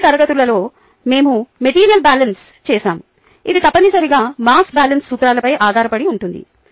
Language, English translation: Telugu, in the previous classes, we did made of beaded material balances, right which is essentially based on the principles of a mass balance